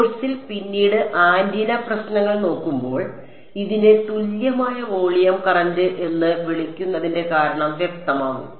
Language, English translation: Malayalam, When we look at antenna problems later on in the course the reason why this is called a equivalent volume current will become clear ok